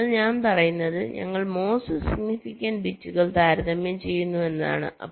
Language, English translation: Malayalam, so what i am saying is that we compare the most significant bits